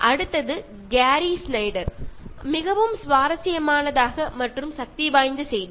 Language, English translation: Tamil, The next one from Gary Snyder is also very interesting and is with a very powerful message